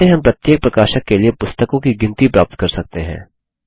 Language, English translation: Hindi, How do we get a count of books for each publisher